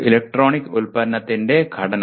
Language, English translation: Malayalam, Structuring of an electronic product